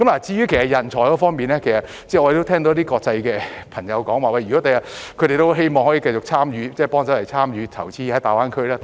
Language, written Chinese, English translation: Cantonese, 至於人才方面，我們聽到一些外國的朋友說很希望將來可以繼續參與大灣區的投資。, As for talents we heard that some people from foreign countries would like to continue to make investments in GBA in the future